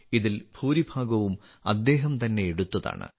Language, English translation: Malayalam, Most of these photographs have been taken by he himself